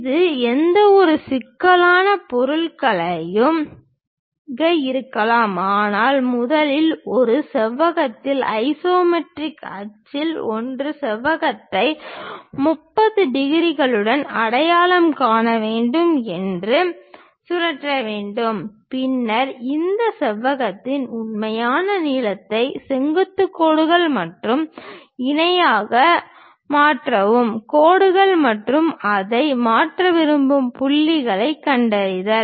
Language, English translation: Tamil, It can be any complicated object, but first we have to enclose that in a rectangle, rotate that rectangle one of the isometric axis one has to identify with 30 degrees then transfer the true lengths of this rectangle onto this with the perpendicular lines and parallel kind of lines and locate the points which we will like to transfer it